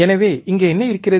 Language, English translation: Tamil, So, here what is there